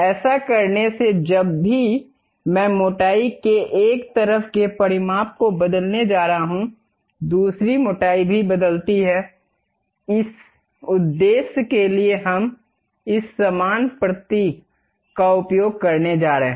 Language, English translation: Hindi, By doing that, whenever I am going to change dimension of one side of the thickness; the other thickness also changes, for that purpose we are going to use this equal symbol